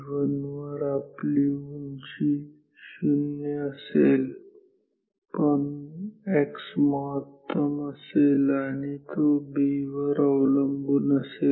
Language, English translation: Marathi, So, this point is t 0 at t 1 we have height 0, but x maximum and this is proportional to B